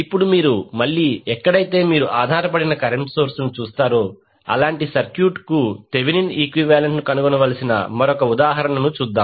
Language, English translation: Telugu, Now, let us see another example where we need to find again the Thevenin equivalent for the circuit